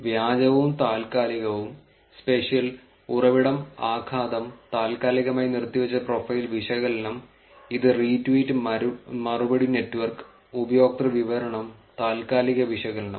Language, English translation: Malayalam, Fake and temporal, spatial, source, impact and suspended profile analysis, which is retweet reply network, user description, temporal analysis